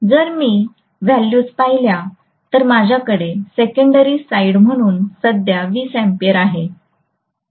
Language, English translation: Marathi, So if I look at the values I am going to have 20amperes as the secondary side current